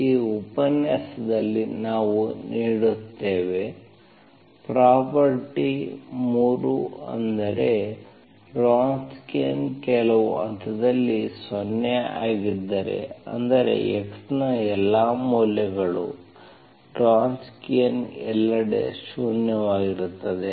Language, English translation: Kannada, So today we give, we give property 3, that is the property 3 tells you that if the Wronskian is, Wronskian is 0 at some point, that means Wronskian is zero everywhere, for all values of x